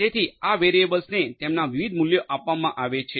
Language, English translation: Gujarati, So, these variables they could be assigned different values